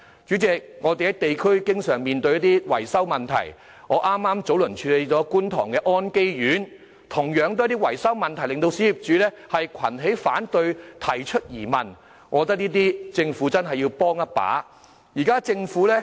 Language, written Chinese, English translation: Cantonese, 主席，我們在地區經常面對一些維修問題，我早前剛處理了觀塘安基苑的情況，同樣是因維修問題令小業主群起反對，提出質疑，我認為政府真的要在這些事上幫一把。, Some time ago I handled a case involving On Kay Court in Kwun Tong . It was also about maintenance where small property owners came together to oppose the works projects and raised queries . I think the Government really has to offer assistance in connection with these issues